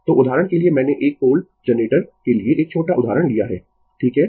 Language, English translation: Hindi, So, for example, one small example I have taken for a 4 pole generator right